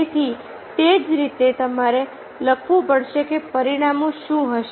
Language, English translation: Gujarati, so, likewise, you have to write what would be the consequences